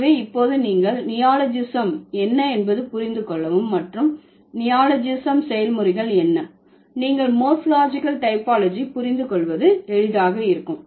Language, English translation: Tamil, So, now once you understand what is neologism and what are the process of neologism, it will be easier for you to understand the morphological typology